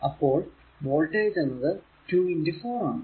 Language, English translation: Malayalam, So, V s is equal to 4 into 2 8 volt